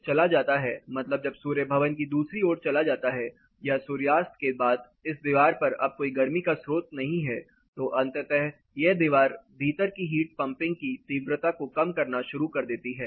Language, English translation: Hindi, So, after this heat sources is gone that is after the sun has gone to the other side of the building or after the sunset this particular wall; now there is no heat source eventually its starts minimizing the intensity of invert heat pumping